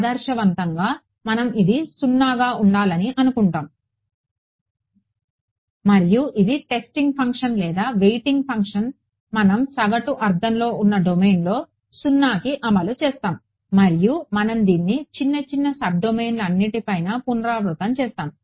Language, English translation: Telugu, Ideally, we want it to be 0 and the testing function which is or the weighing function we are in an average sense enforcing it to 0 over the domain and we repeating this over all of the little little sub domains ok